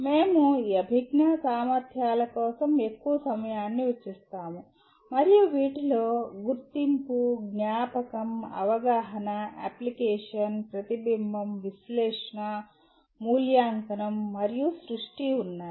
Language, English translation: Telugu, We will be spending more time on this cognitive abilities and these include recognition, recollection, understanding, application, reflection, analysis, evaluation and creation